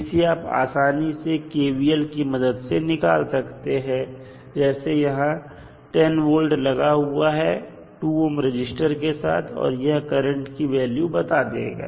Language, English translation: Hindi, You can simply find out by applying the kvl that is 10 volt is applied across through the 2 ohm resistance and it will define the value of current in the circuit